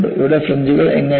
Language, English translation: Malayalam, Here how the fringes are